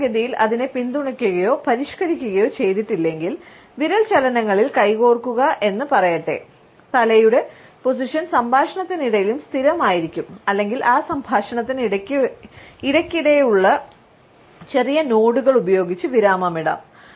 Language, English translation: Malayalam, Normally, if it is not supported or modified by let us say hand in finger movements, the head remains is still during the conversation and may be punctuated by occasional small nods